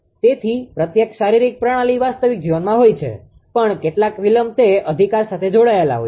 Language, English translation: Gujarati, So, every physical system are in real life also some delay will be associated with that right